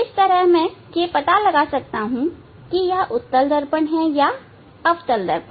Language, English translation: Hindi, that way I can identify the whether it is concave mirror or convex mirror